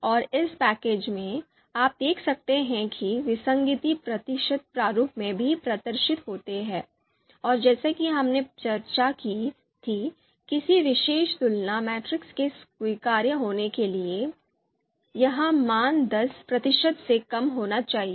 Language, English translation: Hindi, And in this in this package, you can see here the inconsistency that is also displayed here in the percentage form percentage format, and as we have talked about for a particular you know you know comparison matrix to be acceptable, this value should be less than ten percent